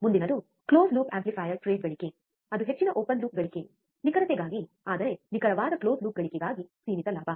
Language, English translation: Kannada, Next is close loop amplifier trades gain that is high open loop gain, for accuracy, but finite gain for accurate close loop gain